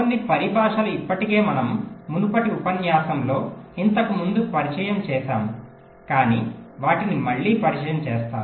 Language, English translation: Telugu, we introduce this earlier in the last lecture, but let me reintroduce them again